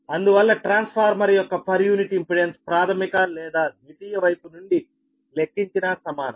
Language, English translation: Telugu, therefore, per unit impedance of a transformer is the same, whether co, whether computed from primary or secondary side